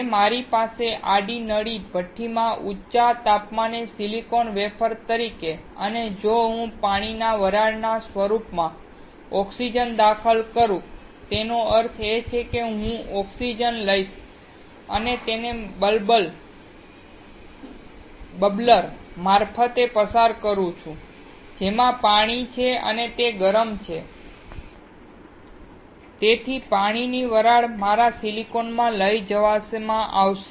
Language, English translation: Gujarati, If I have the silicon wafer at high temperature in the horizontal tube furnace and if I inject oxygen in form of water vapor; that means, I take oxygen and pass it through the bubbler in which water is there and it is heated, so the water vapor will be carried to my silicon